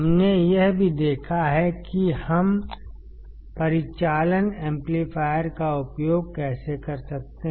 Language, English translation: Hindi, We have also seen how can we use the operational amplifier